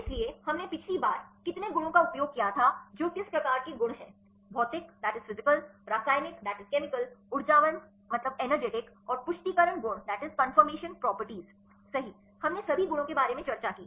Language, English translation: Hindi, So, how many properties we used last time which type of properties: physical, chemical energetic and confirmation properties right we discussed about all the properties